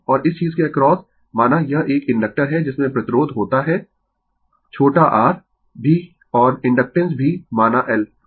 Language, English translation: Hindi, So, , and across this thing , say , it is an inductor which has resistance also small r and inductance say L